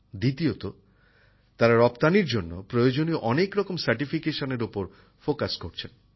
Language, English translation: Bengali, The second feature is that they are also focusing on various certifications required for exports